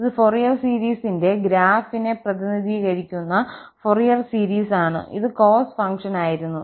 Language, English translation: Malayalam, This is the Fourier series that represent the graph of the Fourier series and this was the cos function